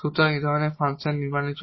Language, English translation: Bengali, So, for the construction of this such a function